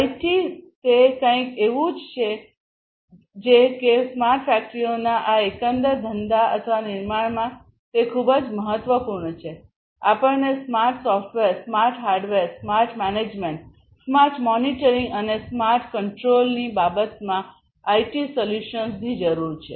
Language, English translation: Gujarati, IT is something that I was also telling you, that it is very important in this overall business of or building smart factories, we need IT solutions in terms of smart software, smart hardware, smart management, smart monitoring, smart control